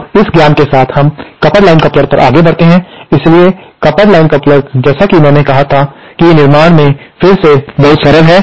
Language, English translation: Hindi, Now, with this knowledge, let us proceed to the coupled line coupler, so the coupled line coupler as I said is again very simple in construction